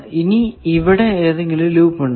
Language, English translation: Malayalam, Now is there any loop